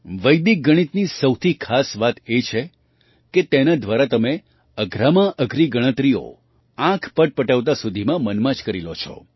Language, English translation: Gujarati, The most important thing about Vedic Mathematics was that through it you can do even the most difficult calculations in your mind in the blink of an eye